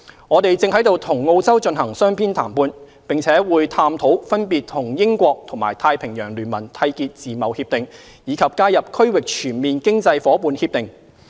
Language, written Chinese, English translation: Cantonese, 我們正與澳洲進行雙邊談判，並會探討分別與英國和太平洋聯盟締結自貿協定，以及加入"區域全面經濟夥伴協定"。, Our bilateral negotiations with Australia are ongoing and we will explore FTAs with the United Kingdom and the Pacific Alliance and seek accession to the Regional Comprehensive Economic Partnership